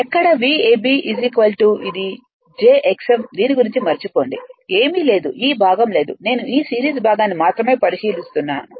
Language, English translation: Telugu, Where v a b is equal to is equal to this is my j x m forget about this one nothing is there this part is not there only I am considering these series part right